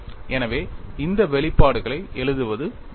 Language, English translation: Tamil, So, it is worth writing this expression